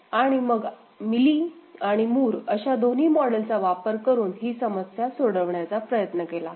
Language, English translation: Marathi, And we tried to solve that problem using both Mealy model and Moore model